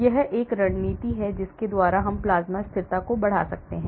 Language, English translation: Hindi, So, this is the strategy by which we can enhance plasma stability